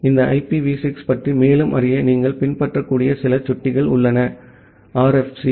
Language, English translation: Tamil, So, to know more about this IPv6 there are some pointers that you can follow, the RFC’s